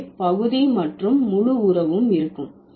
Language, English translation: Tamil, So, that the part and whole relation would exist